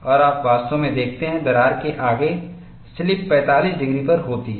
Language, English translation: Hindi, And you indeed see, ahead of the crack slipping takes place at 45 degrees